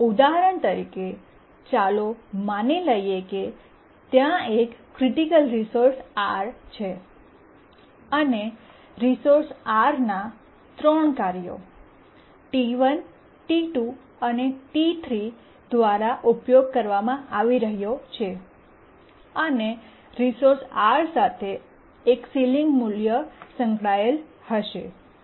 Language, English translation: Gujarati, Let's assume that there is a critical resource R and the resource R is being used by three tasks, T1, T2 and T3, and there will be ceiling value associated with the R which is equal to the maximum of the priorities of T1, T2 and T3